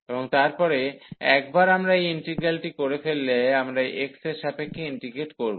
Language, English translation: Bengali, And then once we are done with this integral, we will integrate with respect to x